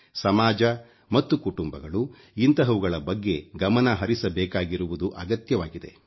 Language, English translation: Kannada, Society and the family need to pay attention towards this crisis